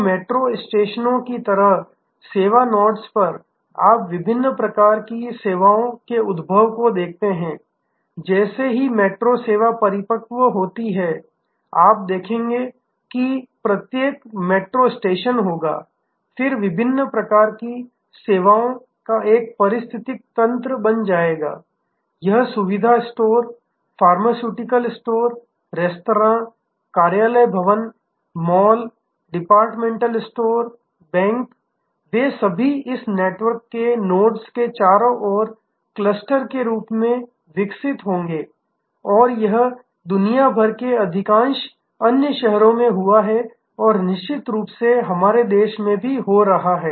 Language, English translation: Hindi, So, at the service nodes like a metro stations you see emergence of different types of services and as this the metro service matures you will see that each metro station will, then become an ecosystem of different types of services be it convenience store, pharmaceutical store, restaurants, office buildings, malls, department stores, banks, they will all kind of grow as cluster around this network nodes and this as happened in most other cities around in the world and will definitely see happening in our country as well